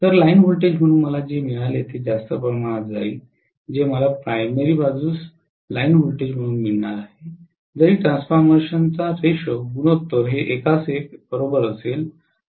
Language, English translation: Marathi, So what I get as the line voltage will be way too higher as compared to what I am going to get as the line voltage on the primary side, even if the transformation ratio is 1 is to 1, right